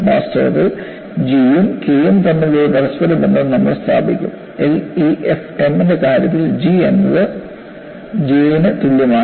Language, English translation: Malayalam, In fact, we would establish an interrelationship between G and K and in the case of LEFM, G is same as J